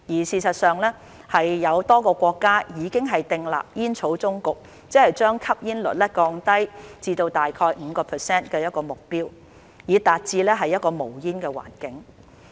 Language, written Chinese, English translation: Cantonese, 事實上，有多個國家已經訂立將吸煙率降至 5% 的目標以達至無煙環境。, In fact a number of countries have set a goal of reducing smoking rate to 5 % to achieve a smoke - free environment